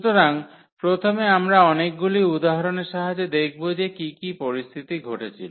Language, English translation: Bengali, So, first we will see with the help of many examples that what are the situations arises here